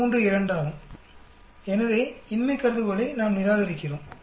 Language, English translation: Tamil, 32, so we reject the null hypothesis